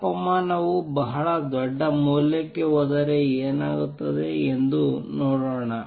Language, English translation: Kannada, Let us see what happens if the temperature goes to a very large value